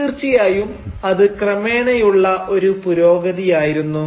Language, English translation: Malayalam, And it was of course a very gradual progress